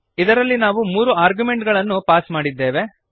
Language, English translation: Kannada, In this we have passed three arguments